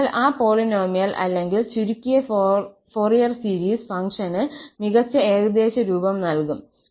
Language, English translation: Malayalam, So that polynomial or that truncated Fourier series will give the best approximation to the function f